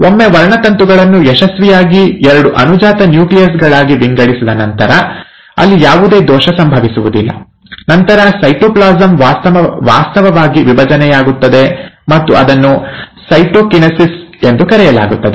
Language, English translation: Kannada, Once the chromosomes have been now successfully divided into two daughter nuclei, and there is no error happening there, then the cytoplasm actually divides, and that is called as the ‘cytokinesis’